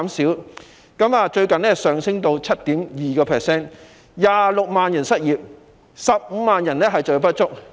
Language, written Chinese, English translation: Cantonese, 最近，失業率更上升至 7.2%，26 萬人失業 ，15 萬人就業不足。, Recently the unemployment rate has risen to 7.2 % with 260 000 people unemployed and 150 000 people underemployed